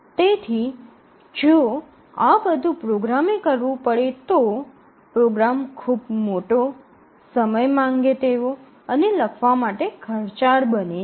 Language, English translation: Gujarati, If your program has to do all these then the program will be enormously large and it will be time consuming and costly to write